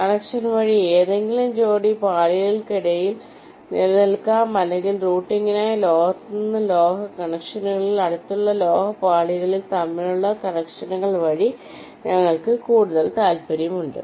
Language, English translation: Malayalam, via connection can exist between any pair of layers or for routing, we are more interested in metal to metal connections via connections between adjacent metal layers